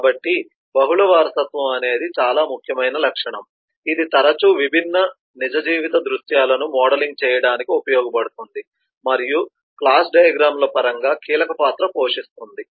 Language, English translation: Telugu, so multiple inheritance is a very important features which is often used in modelling different real life scenarios and place a critical role in terms of the class diagrams